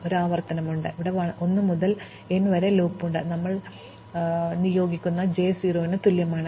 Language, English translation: Malayalam, So, we have one iteration, where we have a loop of 1 to n; where we assign, visited j equal to 0